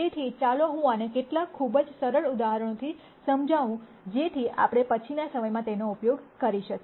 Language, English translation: Gujarati, So, let me illustrate this with some very, very simple examples so that we use this at later times